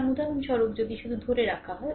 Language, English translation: Bengali, So, if you have for example, just hold on